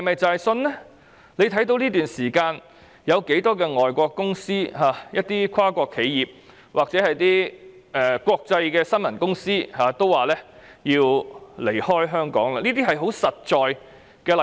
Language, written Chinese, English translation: Cantonese, 這段時間有多少海外公司、跨國企業或一些國際新聞傳媒都表示會撤出香港，這是一些很實在的例子。, During this period many overseas companies multinational enterprises or some international news media have indicated that they will depart from Hong Kong . These are some concrete examples